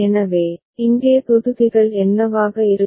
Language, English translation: Tamil, So, what will be the blocks here